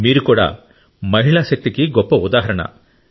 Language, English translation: Telugu, You too are a very big example of woman power